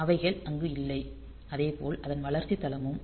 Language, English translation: Tamil, So, they are not there and similarly that development platform